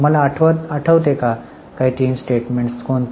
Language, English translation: Marathi, Do you remember what are these three statements